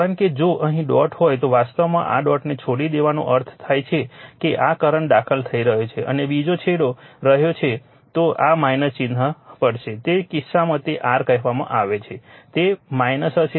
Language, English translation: Gujarati, Because current actually leaving this dot if dot is here means this current is entering and another is leaving you have to take the minus sign, in that case it will be your what you call minus